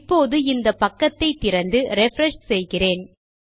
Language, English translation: Tamil, So, now well open our page up and refresh